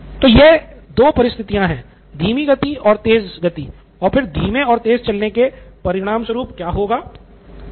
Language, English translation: Hindi, So these are the two states so to speak between slow and fast and then what happens as a result of going slow and fast